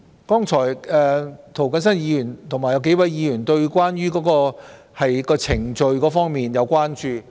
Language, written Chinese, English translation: Cantonese, 剛才涂謹申議員和幾位議員對程序會否被濫用表示關注。, Mr James TO and a number of Members have expressed concern just now about whether the procedures will be abused